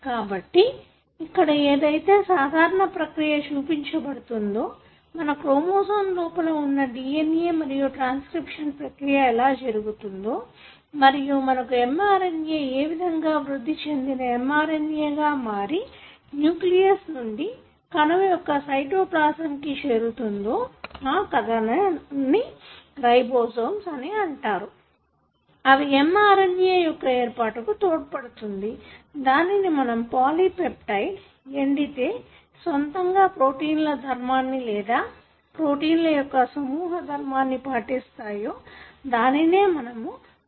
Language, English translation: Telugu, So, this process is what is shown here in this schematic, where we have our DNA which is there inside our chromosome and that is being copied by the process what you call as transcription and you have this mRNA which is processed to form a matured mRNA which moves out of nucleus into the cytoplasm of the cell where you have set of machineries, that are called as ribosomes that help in reading the RNA to form what is called as polypeptide which on its own can function as a protein or a group of them can join together to form a complex which we now call as protein